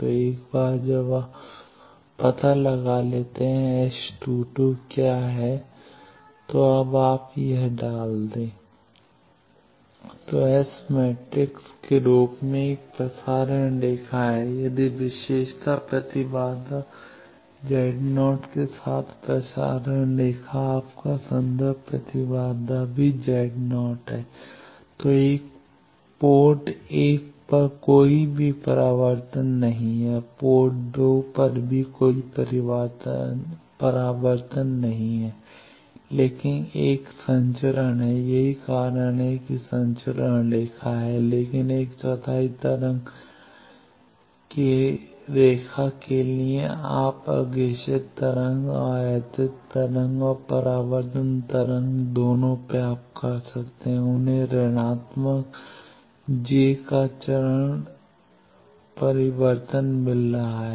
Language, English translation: Hindi, So, a transmission line as S matrix that if the transmission line with characteristic impedance Z 0 your reference impedance is also Z 0, then there is no reflection at port1 also at port2 there is no reflection, but there is a transmission that is why it is transmission line, but for a quarter wave line you are getting both in the forward wave and or incident wave and reflected wave, they are getting a phase change of minus j